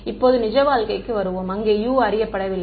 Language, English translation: Tamil, Now let us come back to real life where U is also not known right